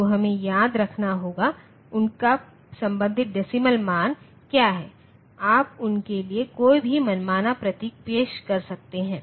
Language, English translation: Hindi, So, we have to remember; what is their corresponding decimal value and you can introduce any arbitrary symbol for them